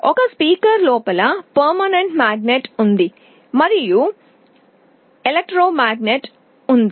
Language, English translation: Telugu, Inside a speaker there is a permanent magnet and there is a movable electromagnet